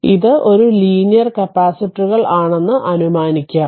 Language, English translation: Malayalam, So, it is a linear capacitor